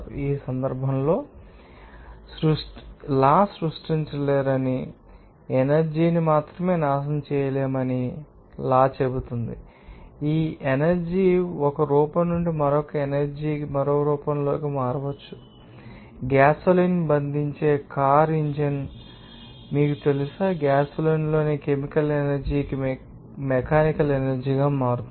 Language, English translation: Telugu, In this case this law says that you cannot create or you know, destroy the energy only, you can change this energy from one form to the another energy into another form like you can say that a car engine that bonds gasoline, that will convert the, you know, chemical energy in gasoline into mechanical energy